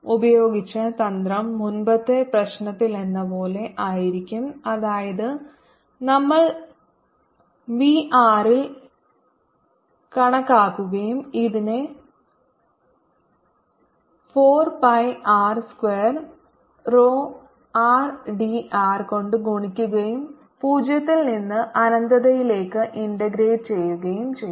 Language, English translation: Malayalam, the trick used will be same as in the earlier problem, that is, we'll calculate v at r, multiply this by four pi r square, rho r, d, r and integrate it from zero to infinity to calculate v